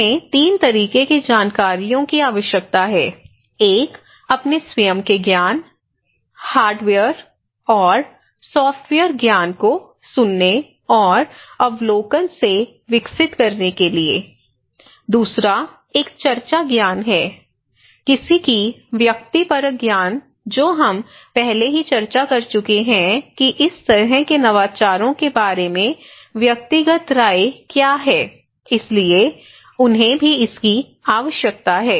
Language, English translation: Hindi, They need 3 kind of informations, one to develop their own knowledge, hardware and software knowledge from hearing and observation, another one is the discussions knowledge, someone's subjective knowledge that we already discussed that what one’s subjective opinion, personal opinion about this kind of innovations so, they also need this one